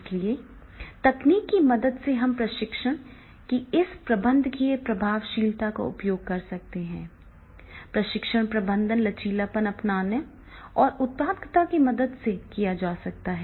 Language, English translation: Hindi, So, therefore with the help of technology, we can use these managerial effectiveness of training, the training management can be done with the help of flexibility, adaptability and productivity